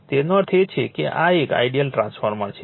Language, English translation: Gujarati, That means, this one as if it is an ideal transformer